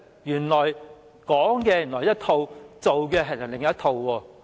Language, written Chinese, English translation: Cantonese, 原來是"說一套，做另一套"。, The truth is that she is saying one thing and doing another